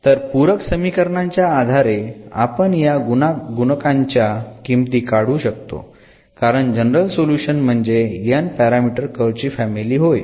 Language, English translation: Marathi, So, based on the other information which we can evaluate these coefficients because this is the general solution is nothing, but the family of the curves of this n parameter